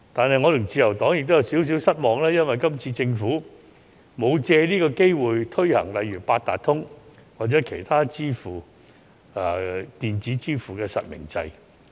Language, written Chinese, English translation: Cantonese, 不過，我和自由黨亦有少許失望，因為政府未有藉今次機會推行八達通或其他電子支付方式的實名制。, However LP and I are slightly disappointed because the Government has failed to take this opportunity to introduce a real - name registration system for Octopus cards and other electronic payment methods